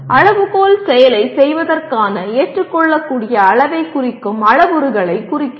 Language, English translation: Tamil, Criterion represents the parameters that characterize the acceptability levels of performing the action